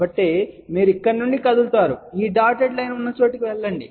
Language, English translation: Telugu, So, you move from here, go up to a point where this dotted line is there